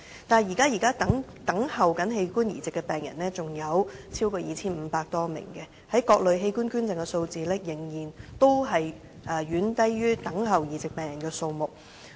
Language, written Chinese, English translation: Cantonese, 但是，現在等候器官移植的病人有超過 2,500 名，各類器官捐贈的數字，仍然遠低於等候移植病人的數目。, That said over 2 500 patients are now waiting for an organ transplant . Different types of organ donations still lag far behind the number of patients waiting for an organ transplant